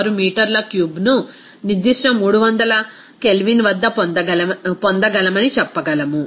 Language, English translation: Telugu, 6 meter cube at that particular 300 K